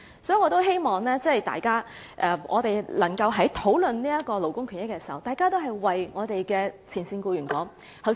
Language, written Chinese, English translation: Cantonese, 所以，我希望大家在討論勞工權益時，也能夠為前線僱員發言。, Therefore I hope that when Members talk about labour rights and interests they can speak up for frontline employees